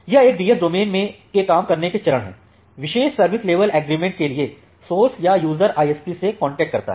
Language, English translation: Hindi, These are the working steps of a DS domain the source or the users it make a contact with contract with the ISP for a specific service level agreement